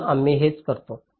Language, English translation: Marathi, so this is what is used